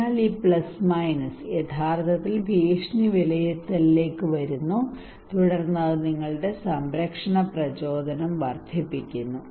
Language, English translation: Malayalam, So this plus minus actually coming to threat appraisal and then it is increasing your protection motivation